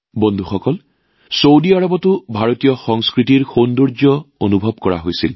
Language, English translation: Assamese, Friends, the beauty of Indian culture was felt in Saudi Arabia also